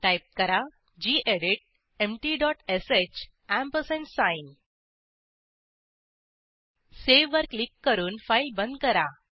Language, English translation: Marathi, Type gedit empty dot sh ampersand sign Click on Save, close the file